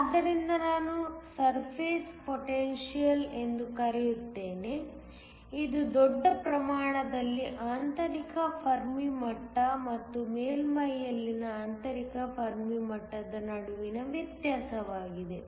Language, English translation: Kannada, So, I will call surface potential which is the difference between the intrinsic fermi level in the bulk and the intrinsic fermi level in the surface